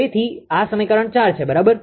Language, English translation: Gujarati, So, this is equation 4, right